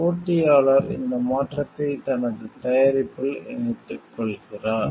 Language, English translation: Tamil, Competitor incorporates this change into its product